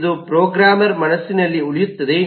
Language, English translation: Kannada, It remains in the mind of the programmer